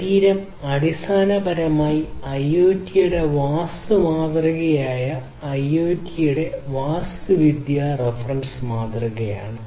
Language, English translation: Malayalam, So, this is this trunk is basically the architectural reference model of IoT, the arm model of IoT